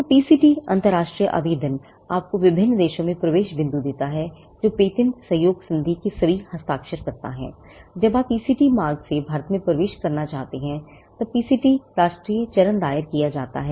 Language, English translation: Hindi, So, the PCT international application gives you an entry point into different countries, which are all signatories to the Patent Cooperation Treaty; whereas, the PCT national phase is filed, when you want to enter India through the PCT route